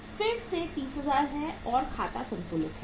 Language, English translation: Hindi, This is again 30,000 and account is balanced